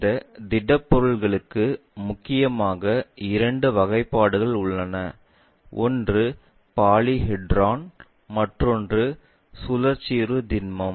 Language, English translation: Tamil, For this solids mainly we have two classification; one is Polyhedron, other one is solids of revolution